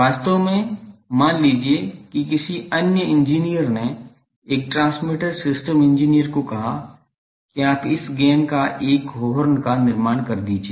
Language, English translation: Hindi, Actual, suppose some other engineer suppose a transmitter system engineer said that you construct a horn of this much gain